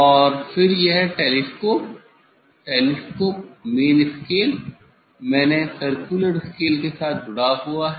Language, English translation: Hindi, And then this telescope, telescope is attached with the main scale, main circular scale